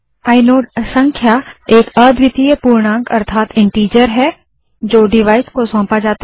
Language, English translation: Hindi, The inode number is a unique integer assigned to the device